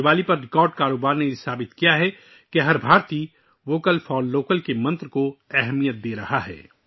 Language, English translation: Urdu, The record business on Diwali proved that every Indian is giving importance to the mantra of 'Vocal For Local'